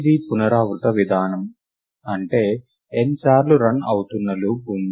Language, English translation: Telugu, Its an iterative approach, which means there is a loop that is running n times